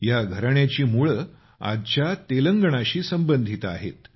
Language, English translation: Marathi, The roots of this dynasty are still associated with Telangana